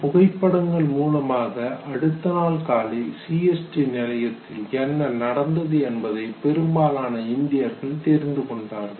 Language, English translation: Tamil, That next morning a whole lot of Indians they realize what actually happened at CST station